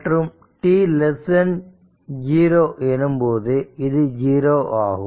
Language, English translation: Tamil, So, this is minus t 0 right